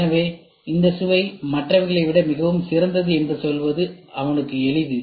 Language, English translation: Tamil, So, he will be easy to tell him that this taste is much better than the others